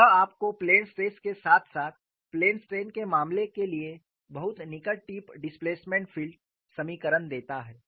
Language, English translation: Hindi, So, this gives you very near tip displacement field equations for the case of planes stress as well as plane strain